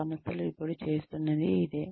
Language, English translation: Telugu, This is what organizations, are now doing